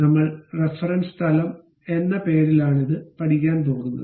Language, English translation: Malayalam, First thing is constructing a reference plane